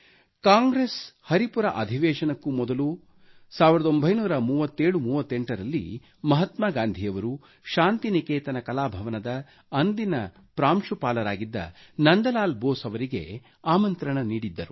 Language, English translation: Kannada, Before the Haripura Session, in 193738, Mahatma Gandhi had invited the then Principal of Shantiniketan Kala Bhavan, Nandlal Bose